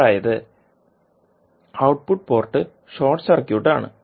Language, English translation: Malayalam, That is input ports short circuited